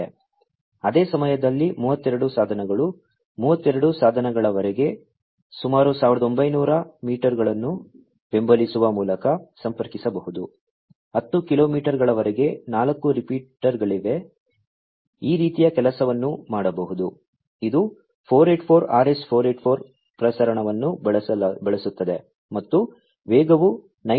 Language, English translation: Kannada, At the same time 32 devices, up to 32 devices, could be connected supporting about 1900 meters, up to 10 kilometers 4 repeaters you know this kind of thing can be done, it uses the 484 RS 484 transmission and speed varies from 9